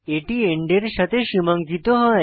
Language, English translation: Bengali, It is delimited with an end